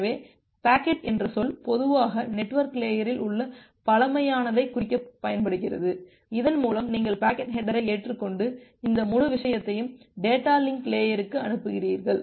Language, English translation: Tamil, So, packet the term packet is normally used to denote the primitive at the network layer, with that you adopt the packet header and send this entire thing to the data link layer